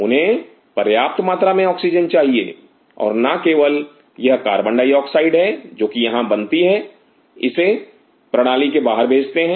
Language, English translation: Hindi, They need sufficient oxygen and not only that this carbon dioxide which is produced here has to be sent outside the system